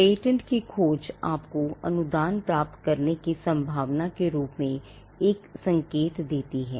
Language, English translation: Hindi, The patentability search gives you an indication as to the chances of getting a grant